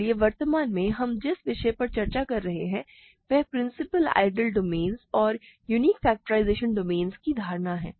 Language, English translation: Hindi, So, the topic that we are currently discussing is the notion of principal ideal domains, and unique factorisation domain